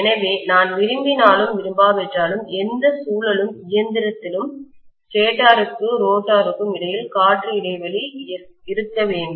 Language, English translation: Tamil, So whether I like it or not, in any rotating machine, I have to have air gap between stator and rotor